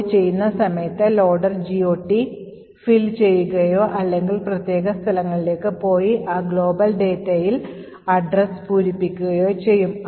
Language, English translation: Malayalam, Further at the time of loading, the loader would either fill the GOT table or go specifically to those particular locations and fill addresses in those global data